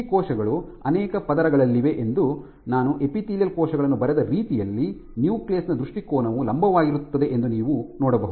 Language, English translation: Kannada, The way I have drawn the epithelial cells you see the orientation of the nucleus is vertical